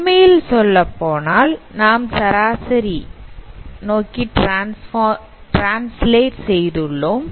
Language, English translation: Tamil, Actually you can see that since we have translated towards mean